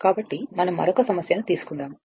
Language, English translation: Telugu, So, next we will take another another problem